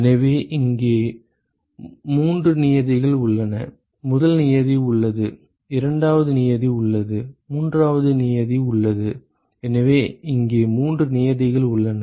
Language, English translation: Tamil, So, there are three terms here there is a first term, there is a second term, and there is a third term right so there are three terms here